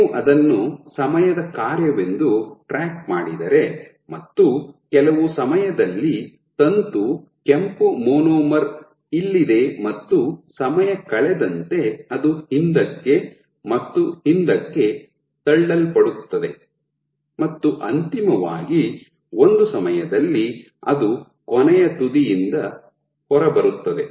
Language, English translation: Kannada, So, if you track it as a function of time at sometime you might see that the filament that this red monomer is here and as time goes on it will get pushed back and back and finally, at one time it will come out of the last end